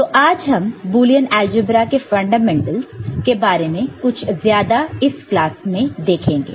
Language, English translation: Hindi, So, we shall look more into the Fundamentals of the Boolean Algebra in this particular class